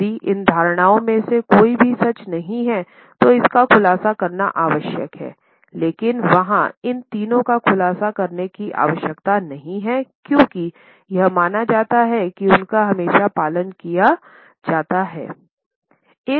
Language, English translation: Hindi, If any of this assumption is not true, it is required to be disclosed but there is no need to disclose these three because it is assumed that they are always followed